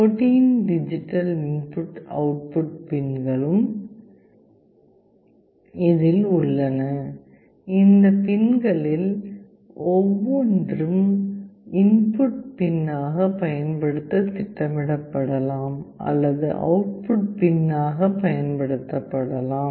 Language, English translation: Tamil, There are 14 digital input output pins, each of these pins can be programmed to use as an input pin or it can be used for output pin